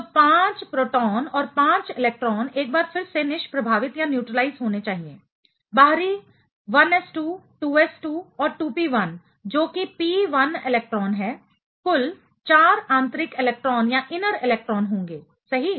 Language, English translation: Hindi, So, 5 proton and 5 electron a once again they should neutralize; the outer one 1s2, 2s2 and 2p1 that is the p1 electron will be having total 4 inner electrons right